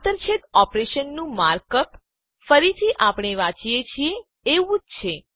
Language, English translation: Gujarati, The markup for an intersection operation is again the same as we read it